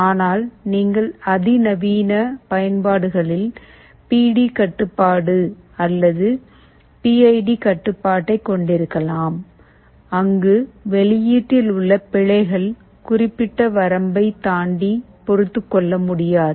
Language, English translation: Tamil, But you can have PD control or PID control in more sophisticated applications, where errors in the output cannot be tolerated beyond the certain limit